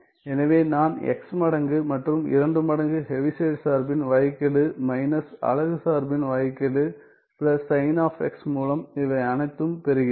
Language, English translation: Tamil, So, all I get this is x times 2 times Heaviside function derivative minus the unit function derivative plus sign of x right